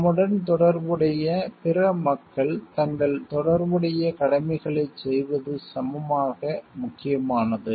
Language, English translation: Tamil, It is equally important that the other connected people related to us do their corresponding duties